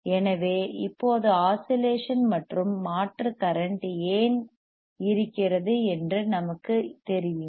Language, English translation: Tamil, So, now, we know why there is oscillation we know why there is and alternating current